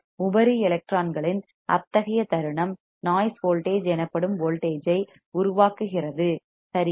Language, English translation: Tamil, Such a moment of the free electrons generates a voltage called noise voltage all right